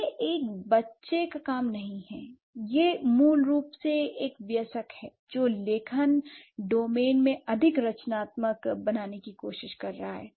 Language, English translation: Hindi, That's basically an adult who is trying to find out or trying to become more creative in the writing domain